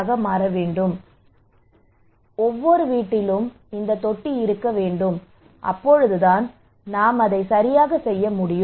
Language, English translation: Tamil, So everybody should every household should have this one only then we can do it right like this